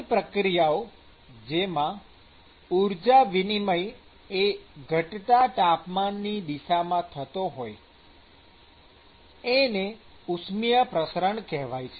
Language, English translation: Gujarati, So, this process of energy transfer that occurs in the direction of decreasing temperature is what is called as thermal diffusion